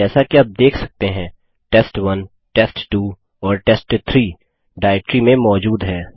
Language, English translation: Hindi, As you can see test1,test2 and test3 are present in this directory